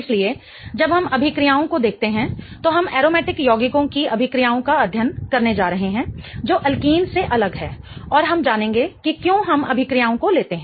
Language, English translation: Hindi, So, when we look at the reactions, we are going to study the reactions of aromatic compounds differently than from alkenes